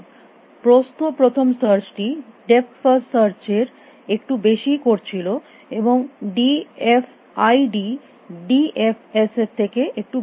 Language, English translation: Bengali, Breadth first search little bit doing little more over than depth first search, and d f i d is doing only little bit more work than d f i d